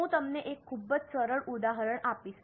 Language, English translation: Gujarati, I'll just give you a very simple example